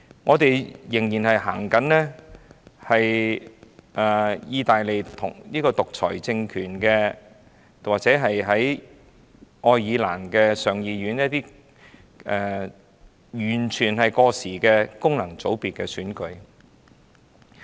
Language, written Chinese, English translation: Cantonese, 我們仍然實行意大利的獨裁政權，仍採用愛爾蘭上議院完全過時的功能界別選舉。, We still practice the totalitarianism regime of Italy . We still adopt the totally - outdated functional constituency election of the Upper House of the Irish Parliament